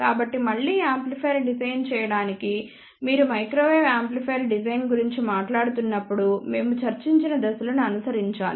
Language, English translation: Telugu, So, again to design an amplifier you must follow the steps which we had discussed when we were talking about microwave amplifier design